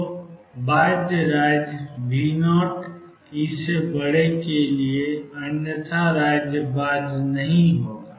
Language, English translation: Hindi, So, for bound state V 0 must be greater than E otherwise the state would not be bound